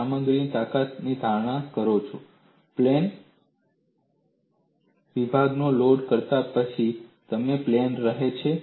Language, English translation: Gujarati, You make an assumption in strength of materials plane sections remain plane before and after loading